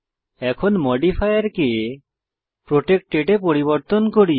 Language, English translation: Bengali, Now let us change the modifier to protected